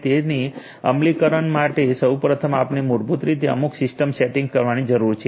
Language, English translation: Gujarati, So, first of all we need to so for implementation first we need to basically have certain system settings